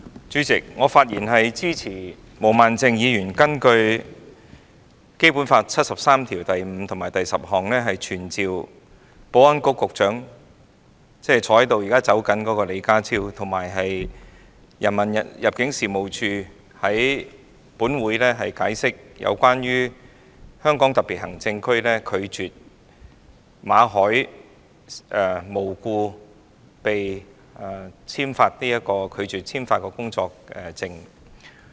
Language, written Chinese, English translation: Cantonese, 主席，我發言支持毛孟靜議員根據《基本法》第七十三條第五項及第十項動議的議案，傳召現時正準備離開會議廳的保安局局長李家超，以及入境事務處處長，到本會解釋香港特別行政區無故拒絕向馬凱先生簽發工作證一事。, President I speak in support of Ms Claudia MOs motion moved under Article 735 and 10 of the Basic Law to summon the Secretary for Security John LEE who is now preparing to leave the Chamber and the Director of Immigration to explain before the Council the refusal of Hong Kong Special Administrative Region SAR Government to renew for no reason the work visa of Mr Victor MALLET